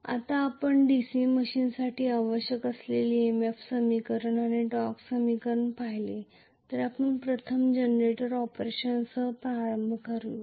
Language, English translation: Marathi, Now, that we have seen basically the EMF equation and torque equation which are required for a DC machine, let us first of all start with the generator operations